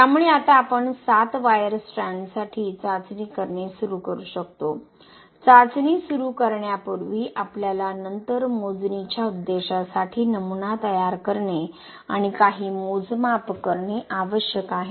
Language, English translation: Marathi, So now, we can start doing the testing for 7wire strands, before starting the testing we need to do specimen preparation and certain measurements for the calculation purpose later